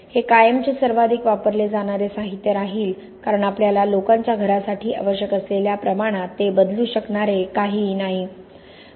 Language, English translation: Marathi, It will continue to be the most used material forever because there is nothing that can replace it on the scale we need to house people